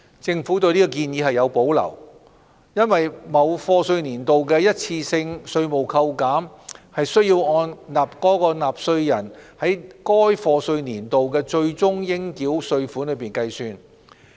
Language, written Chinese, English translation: Cantonese, 政府對此建議有所保留。因為某課稅年度的一次性稅務扣減須按納稅人在該課稅年度的最終應繳稅款計算。, The Government has reservations about this suggestion because the amount of one - off tax reduction for a year of assessment is based on the final tax liability of a taxpayer for the year of assessment